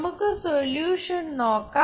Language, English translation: Malayalam, Let us look at the solution